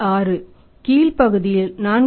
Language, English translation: Tamil, 6 in the lower part 4